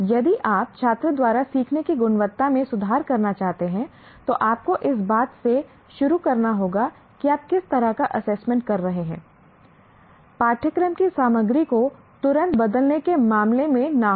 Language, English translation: Hindi, If you want to improve the quality of learning by the student, you have to start from what kind of assessment you are conducting, not in terms of changing the content of the course immediately